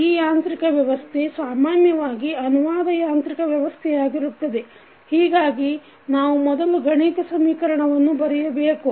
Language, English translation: Kannada, Now, this mathematical, this mechanical system, the basically this is translational mechanical system, so we have to first write the mathematical equation